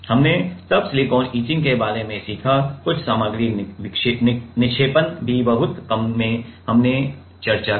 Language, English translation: Hindi, We have learned about silicon etching then, also some material deposition in very short way we discussed some material deposition